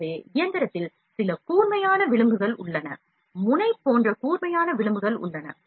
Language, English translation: Tamil, So, there are certain sharp edges in the machine as well, sharp edges like in the nozzle head or certain the sharp edges are there